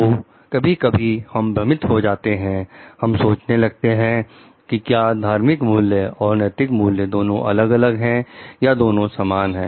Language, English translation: Hindi, So, sometimes we get confused, we think like whether religious values and ethical values are different or whether they are same